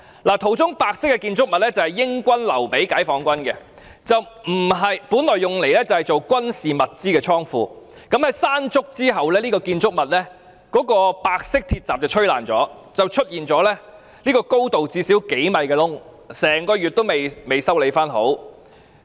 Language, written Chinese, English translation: Cantonese, 照片中的白色建築物是英軍留給解放軍的，本來用作軍事物資的倉庫，在颱風山竹過後，這個建築物的白色鐵閘被吹毀，出現一個高度最少數米的洞，整個月仍未修好。, This white structure in the photograph is left behind by the British army to PLA and it was originally a warehouse for keeping military materials . After the onslaught of typhoon Mangkhut the white gate of this structure was destroyed by the wind leaving an opening of at least a few metres tall and the gate has not yet been fixed for the whole month